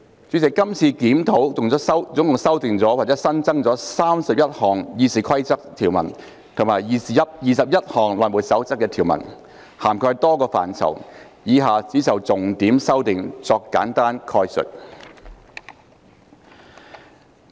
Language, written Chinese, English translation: Cantonese, 主席，這次檢討共修訂或新增31項《議事規則》的條文及21項《內務守則》的條文，涵蓋多個範疇，以下我只就重點修訂作簡單概述。, President the review has amended or incorporated 31 provisions in RoP and 21 provisions in HR covering various areas . I will just give a summary on the major amendments as follows